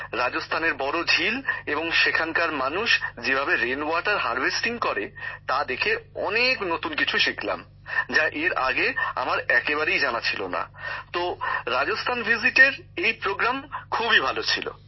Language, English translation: Bengali, I got to learn many new things about the big lakes of Rajasthan and the people there, and rain water harvesting as well, which I did not know at all, so this Rajasthan visit was very good for me